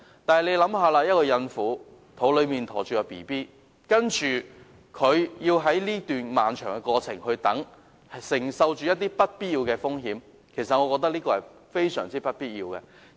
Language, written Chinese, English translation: Cantonese, 大家試想想，懷着嬰孩的孕婦要在這段漫長的過程中等候，承受不必要的風險，我認為是非常沒有必要的。, Members can imagine this . A pregnant woman with a fetus inside her body has to wait and withstand undue risks during this prolonged process . I think this is totally unnecessary